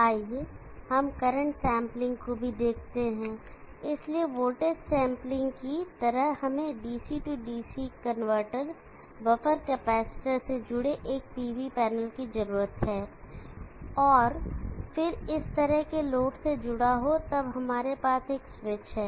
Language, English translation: Hindi, Let us also look at current sampling, so just like the voltage sampling, we need a PV panel connected to the DC DC converter, buffer capacitor, and then connected to load like this, then we have a switch